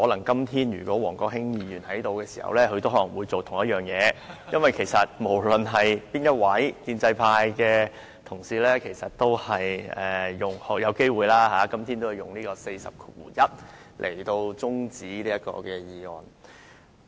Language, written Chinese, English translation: Cantonese, 因為如果王國興今天在席，他可能也會做同一件事，無論是哪一位建制派同事，其實今天也有機會根據《議事規則》第401條動議中止待續議案。, The reason is that if WONG Kwok - hing were present today he would have probably done the same thing . As a matter of fact any pro - establishment Member would have moved an adjournment motion under Rule 401 of the Rules of Procedure RoP today